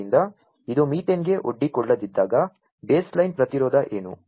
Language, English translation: Kannada, So, when it is not exposed to methane, what is the baseline resistance